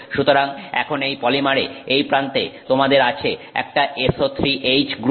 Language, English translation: Bengali, So, now in this polymer in the end you have an SO3 H group